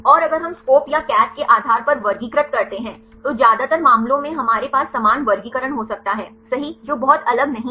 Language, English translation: Hindi, And if we classify based on SCOP or the CATH, most of the cases we can have the similar classification right that not much different